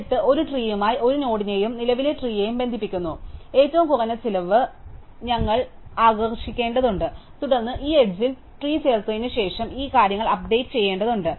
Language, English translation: Malayalam, But still, we need to attract the minimum cost edge connecting a node to a tree, to the current tree and then we need to update these things after we add this edge to the tree, right